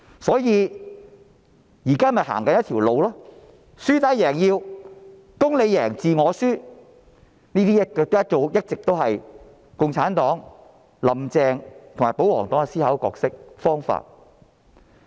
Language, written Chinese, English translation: Cantonese, 所以，現在他們是輸打贏要、"公你贏，字我輸"，這一直是共產黨、"林鄭"及保皇黨的思考和做事方式。, Therefore they now adopt a lose - hit win - take attitude which is heads I win tails you lose . This has always been the way of thinking and doing things of the Communist Party Carrie LAM and the pro - Government camp